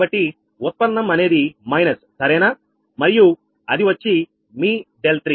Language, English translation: Telugu, so derivative is minus right and it is, ah, your delta three